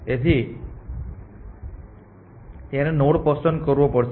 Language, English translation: Gujarati, So, it will have to pick the node